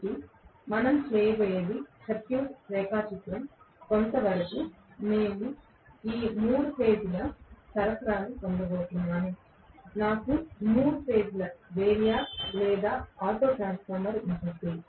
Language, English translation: Telugu, So, what we are going to have is the circuit diagram is somewhat like this I am going to have 3 phase supply, I will have a 3 phase variac or an auto transformer